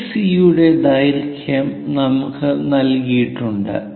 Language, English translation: Malayalam, So, what is given is AC length is given as side length